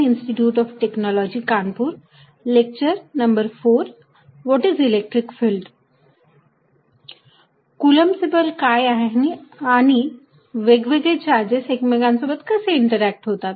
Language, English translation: Marathi, How about Coulomb's force and how different charge is interact with each other